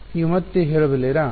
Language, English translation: Kannada, Can you say again